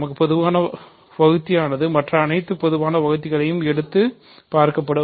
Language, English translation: Tamil, We do not have a common divisor which is divisible by every other divisor, ok